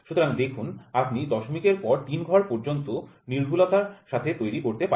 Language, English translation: Bengali, So, you see to that third decimal accuracy you can build